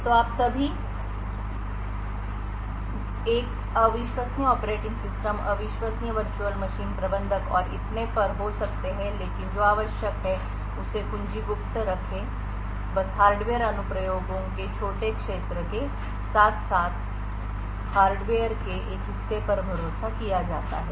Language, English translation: Hindi, So, you could still have an untrusted operating system, untrusted virtual machine managers and so on but what is required keep the key secret is just that the hardware a portion of the hardware is trusted along with small areas of the application